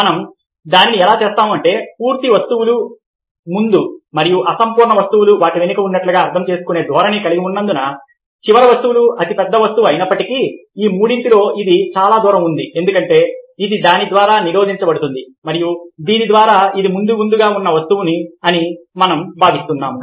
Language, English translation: Telugu, that is because we have a tendency of interpreting completes objects as being in the front and incomplete objects as being behind them and hence, although the the last object is the largest object, ok, it is most distance among them because it is being blocked by this one, and then by this one, we consider that this is the object which in the fore front